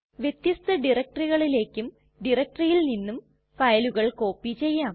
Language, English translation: Malayalam, We can also copy files from and to different directories.For example